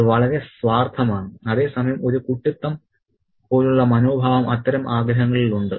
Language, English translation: Malayalam, And that's a very selfish and at the same time a childlike attitude is there in that kind of desire